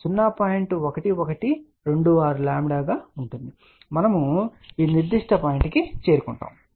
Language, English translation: Telugu, 1126 lambda and we have reached at this particular point